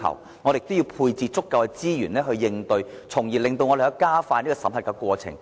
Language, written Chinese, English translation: Cantonese, 此外，我們亦要配置足夠的資源應對，從而加快審核過程。, Moreover we also have to deploy sufficient resources to address the issue so as to expedite the screening process